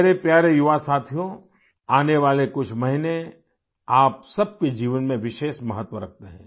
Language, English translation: Hindi, the coming few months are of special importance in the lives of all of you